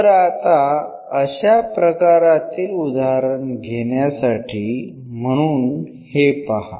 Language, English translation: Marathi, So, just to take an example based on this